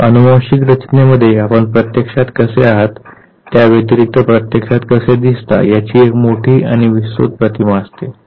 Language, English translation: Marathi, So, genetic makeup has a larger and broader image of what you actually carry besides what you actually look like